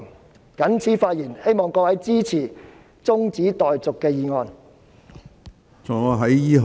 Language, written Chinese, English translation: Cantonese, 我謹此陳辭，希望各位支持中止待續議案。, With these remarks I hope Members can support the adjournment motion